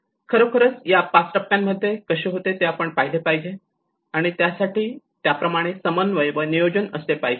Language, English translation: Marathi, And this has to actually look at how these 5 stages and has to be coordinated and planned accordingly